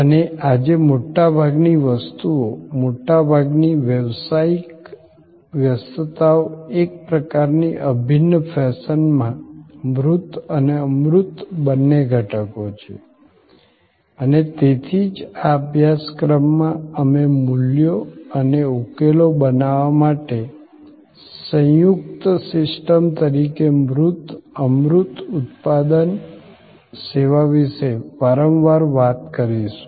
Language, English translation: Gujarati, And most things today, most business engagements are both elements, tangible and intangible in a kind of integral fashion and that is why in this course, we will often talk about product service tangible, intangible as a composite system for creating values and solutions